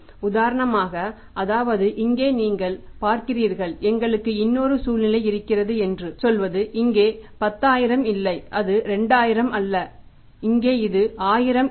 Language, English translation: Tamil, If a reverse is happening for example you see here that say we have another situation like say it is not 10,000 here and it is not 2000 is not 1,000 here right